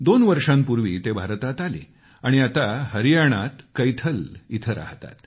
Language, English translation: Marathi, Two years ago, he came to India and now lives in Kaithal, Haryana